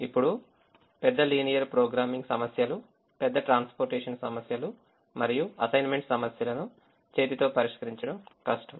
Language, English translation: Telugu, now, large linear programming problems, large transportation problems and assignment problems, it's difficult to solve them by hand